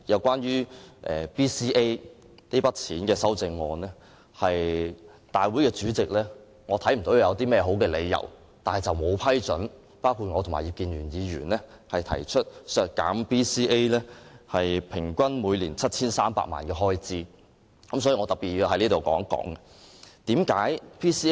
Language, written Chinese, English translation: Cantonese, 關於 BCA 撥款的修正案，我看不到立法會主席有任何好的理由，不批准我和葉建源議員提出修正案，削減 BCA 平均每年 7,300 萬元的開支，因此，我要特別在這裏說說此事。, Also some textbooks may be biased and brainwashing . But I will leave this to the next session to discuss it at greater depth . Regarding the amendments relating to the provision for BCA I did not see any sound reason for the President of the Legislative Council not to approve the amendments proposed by me and Mr IP Kin - yuen to cut the average annual expenditure of 73 million on BCA